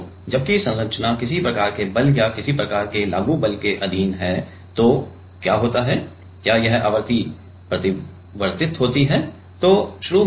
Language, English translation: Hindi, So, while the structure is under, while the structure is under some kind of force or some kind of applied force, then what happens is this frequency changes